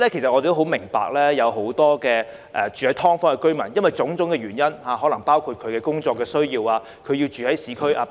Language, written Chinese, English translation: Cantonese, 我們明白，很多"劏房"居民基於種種原因，例如工作或上學需要，而要住在市區。, We understand that many SDU residents live in the urban areas for various reasons such as proximity to workplace or school